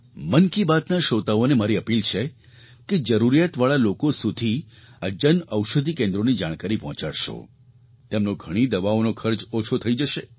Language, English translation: Gujarati, I appeal to the listeners of 'Mann Ki Baat' to provide this information about Jan Anshadhi Kendras to the needy ones it will cut their expense on medicines